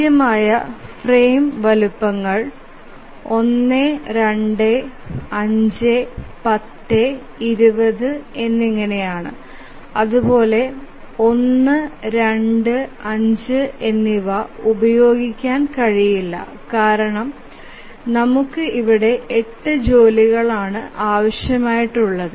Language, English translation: Malayalam, So, the possible frame sizes are 1, 2, 5, 10 and 20 and 1 to 5 cannot be used because we have a job here requiring 8